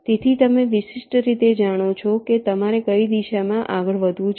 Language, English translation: Gujarati, so you know uniquely which direction you have to move right